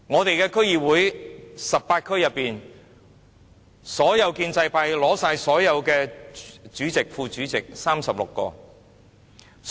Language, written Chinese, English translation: Cantonese, 在18區的區議會，建制派取得所有主席、副主席的36個席位。, In the 18 DCs the pro - establishment camp has swept all 36 seats of Chairmen and Vice Chairmen